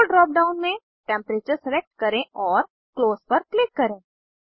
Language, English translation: Hindi, In the Role drop down, select Temperature and click on Close